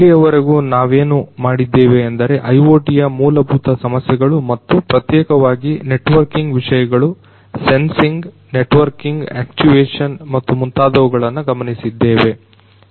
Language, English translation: Kannada, So, so far what we have done is we have looked into some of the fundamental issues of IoT and particularly concerning the networking aspects, the sensing networking actuation and so on